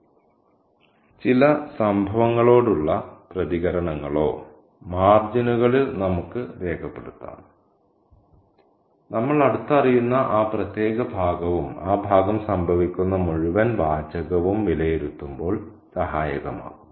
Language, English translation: Malayalam, Our responses to certain events or to certain comments will also be helpful when we assess that particular passage that we are closed reading and the entire text in which that passage occurs